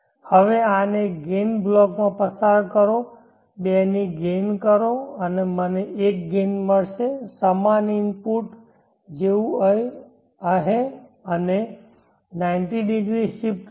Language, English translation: Gujarati, Now pass this through a gain block, gain of 2 and I will get 1 gain same as the input and with the 90° shift, so if I am having xm sin